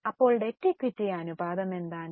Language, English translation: Malayalam, So, what is a debt equity ratio